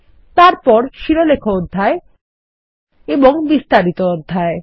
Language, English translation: Bengali, Then the Header section and the Detail section